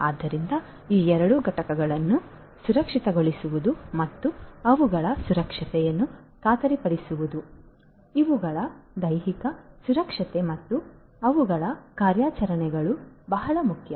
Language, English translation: Kannada, So, securing both of these entities and ensuring their safety, safety the physical safety and security of these and also their operations is what is very important